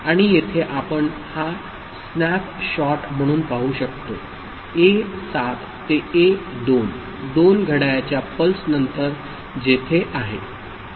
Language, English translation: Marathi, And here we can see this snapshot of it so, A 7 to A 2, after 2 clock pulses where it is